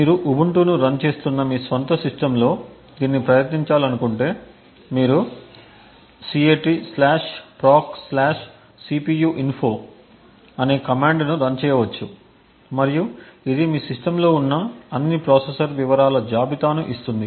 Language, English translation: Telugu, If you want to try this on your own system which is running Ubuntu you can run the commands cat /proc/cpuinfo and it would list details of all the processor present in your system